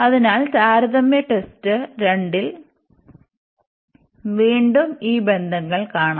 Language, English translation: Malayalam, So, the comparison test 2 was again we have these relations